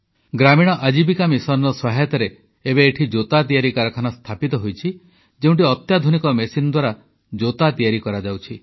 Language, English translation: Odia, With the help of 'Gramin Ajivika Mission,'a slipper manufacturing plant has also been established here, where slippers are being made with the help of modern machines